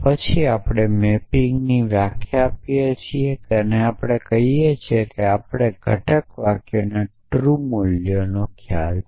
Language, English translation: Gujarati, And then we have define the mapping which tells us that if he knew the truth values of the constituent sentences